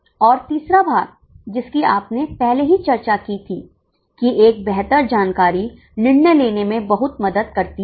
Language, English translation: Hindi, And the third part which we already discussed that a better information helps in much improved decision making